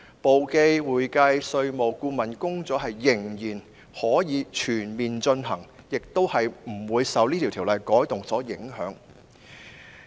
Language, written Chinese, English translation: Cantonese, 簿記、會計、稅務和顧問工作依然可以全面進行，亦不會受《條例草案》的修訂影響。, Bookkeeping accounting taxation and consultancy work can still be carried out in a comprehensive way and will not be affected by the amendments proposed in the Bill